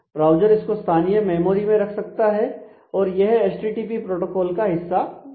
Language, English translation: Hindi, So, the browser can keep it as a I mean locally in its memory or locally here and that is a part of the http protocol